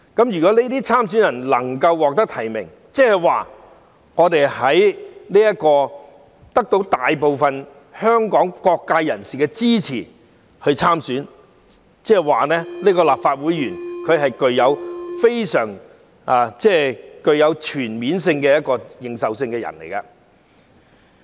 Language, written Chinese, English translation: Cantonese, 如果這些參選人能夠獲得提名，即得到大部分香港各界人士支持，那麼，日後這些立法會議員就具有全面認受性。, Candidates who are able to secure nomination would mean that they have gained the support of the majority of members from various sectors in Hong Kong . Accordingly the future Members of the Legislative Council will gain full legitimacy